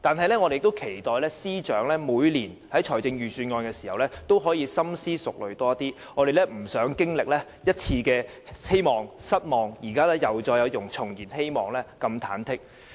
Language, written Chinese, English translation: Cantonese, 不過，我們期待司長在每年制訂預算案時可以更深思熟慮，因為實在不想再次經歷希望變失望，然後又重燃希望的忐忑心情。, And yet we hope that in formulating the annual Budget the Financial Secretary can give more careful thoughts as we really do not want to experience again the feeling of wavering between hope and disappointment and then regaining hope